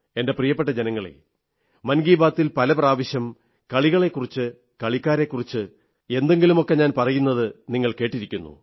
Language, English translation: Malayalam, My dear countrymen, many a time in 'Mann Ki Baat', you must have heard me mention a thing or two about sports & sportspersons